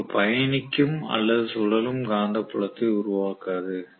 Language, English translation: Tamil, It will not create a traveling or revolving field what so ever right